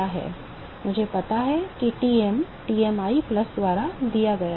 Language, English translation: Hindi, So, I know that Tm is given by Tmi plus